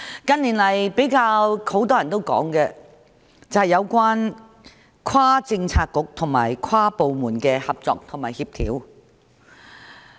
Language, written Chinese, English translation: Cantonese, 近年比較多人討論的，是有關跨政策局和跨部門的合作及協調。, The issue which was discussed more frequently in recent years was the cross - bureaux and inter - departmental cooperation and coordination